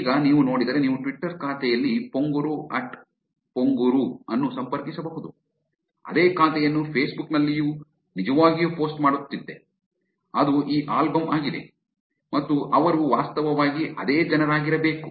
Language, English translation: Kannada, Which now, if you see, you can actually connect that at Pong Guru in Twitter account is the same account which is actually posting the pictures on Facebook, which is this album and therefore they should be actually the same people